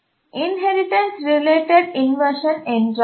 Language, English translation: Tamil, For example, what do you mean by inheritance related inversion